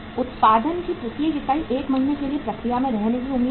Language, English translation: Hindi, Each unit of production is expected to be in process for 1 month